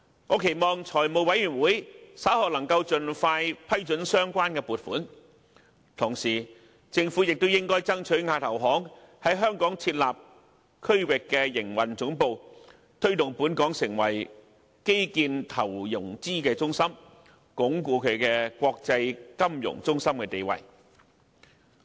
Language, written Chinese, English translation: Cantonese, 我期望財務委員會稍後能夠盡快批准相關撥款，而政府亦應該爭取亞投行在香港設立區域營運總部，推動本港成為基建投融資中心，鞏固國際金融中心的地位。, I hope that the Finance Committee can approve the relevant funding request as soon as possible later on . At the same time the Government should try its best to persuade AIIB to establish its regional operation headquarters in Hong Kong in order to promote Hong Kongs status as the centre for infrastructure investment and financing and enhance Hong Kongs position as an international financial centre